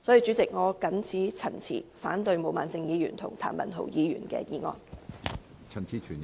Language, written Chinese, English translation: Cantonese, 主席，我謹此陳辭，反對毛孟靜議員和譚文豪議員的議案。, With these remarks President I oppose the motion of Ms Claudia MO and Mr Jeremy TAM